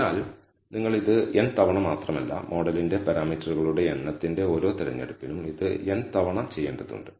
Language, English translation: Malayalam, So, you have not only have to do this n times, but you have to do this n times for every choice of the number of parameters of the model